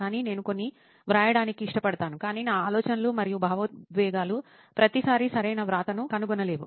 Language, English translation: Telugu, But I do prefer to write my some, but my thoughts and emotions I do not find everytime, proper device to write it